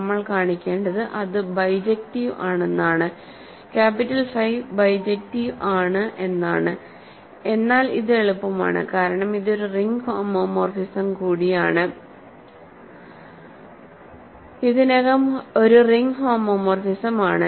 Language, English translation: Malayalam, All we need to show is that it is bijective, capital phi is bijective, but this is easy because it is also a ring homomorphism, already a ring homomorphism